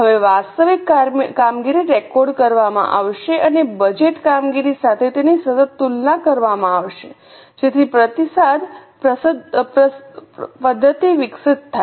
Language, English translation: Gujarati, Now the actual performance will be recorded and that will be continuously compared with the budgeted performance so that a feedback mechanism is developed